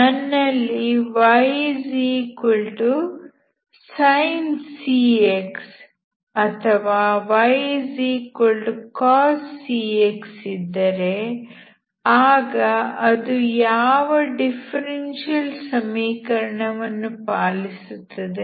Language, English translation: Kannada, If I have y=sincx, or y=coscx then what is the differential equation that it satisfies